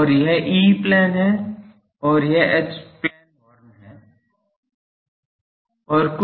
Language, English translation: Hindi, And, what they no this is the E plane and this is the H plane horn thing